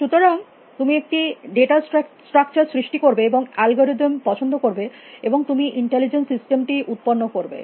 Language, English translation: Bengali, So, that you will create your data structure and you would like algorithm and you will producer intelligence systems